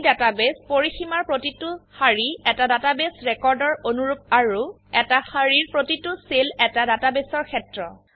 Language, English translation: Assamese, Each row in this database range corresponds to a database record and Each cell in a row corresponds to a database field